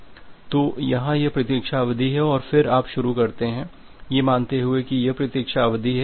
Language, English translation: Hindi, So, here this is the wait duration and then you initiate with say this is the wait duration